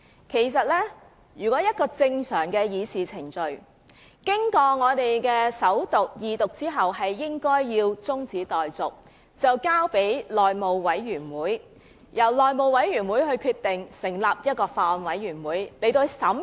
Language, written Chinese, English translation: Cantonese, 根據正常的議事程序，一項法案經過首讀及二讀後，辯論便應該中止待續，讓法案可以交付內務委員會，由內務委員會決定是否成立法案委員會進行審議。, Under the normal deliberation procedure after a Bill has been read the First time and set down for Second Reading the debate should be adjourned for the purpose of referring the Bill to the House Committee . The House Committee will then decide whether a Bills Committee should be formed to conduct scrutiny